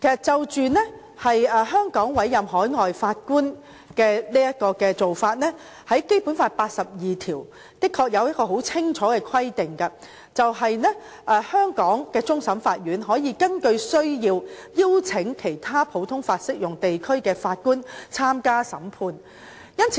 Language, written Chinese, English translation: Cantonese, 關於香港委任海外法官的做法，《基本法》第八十二條的確有清楚規定，香港的終審法院可根據需要邀請其他普通法適用地區的法官參加審判。, With regard to the appointment of overseas Judges in Hong Kong in fact it is clearly stipulated in Article 82 of the Basic Law that CFA of Hong Kong may as required invite Judges from other common law jurisdictions to sit on the Court of Final Appeal